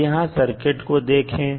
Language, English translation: Hindi, Now, let us see the circuit here